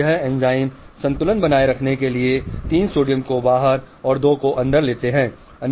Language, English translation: Hindi, This enzyme pushes 3 sodium outside and 2 inside to keep the balance